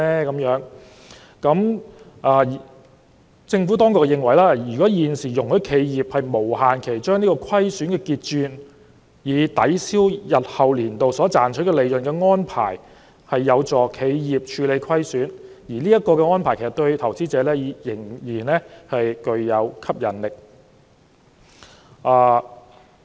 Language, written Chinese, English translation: Cantonese, 就此，政府當局認為，現時容許企業無限期把虧損結轉，以抵銷日後年度所賺取利潤的安排有助企業處理虧損，而這項安排對投資者仍然具有吸引力。, In this connection the Administration reckons that the present arrangement of allowing enterprises to carry forward indefinitely the losses to later years of assessment against future profits is beneficial to the dealing of losses by enterprises and this arrangement is still attractive to investors